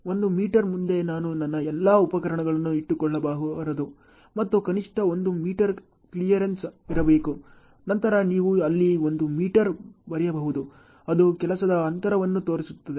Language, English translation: Kannada, One meter ahead I should not keep all my equipment and there should be a minimum clearance of one meter, then you can write one meter there it shows a work gap